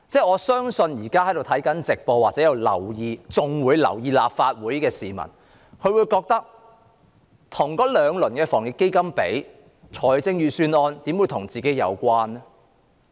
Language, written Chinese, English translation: Cantonese, 我相信現時觀看會議直播或仍然留意立法會會議的市民會覺得與兩輪防疫抗疫基金的措施比較，預算案不怎跟自己有關。, To people who are watching the live broadcast of this meeting or who still care to pay attention to meetings of the Legislative Council I think their feeling is that compared with the two rounds of measures under the Anti - epidemic Fund the Budget does not have much to do with them